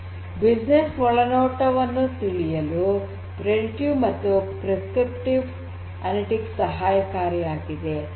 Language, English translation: Kannada, So, both predictive and prescriptive analytics can help in getting business insights and so on